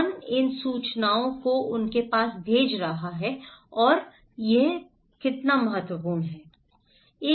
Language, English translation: Hindi, Who is sending these informations to them and how important it is